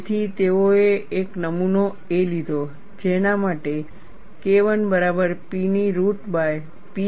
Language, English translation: Gujarati, So, they took a specimen A, for which K 1 equal to P by root of pi a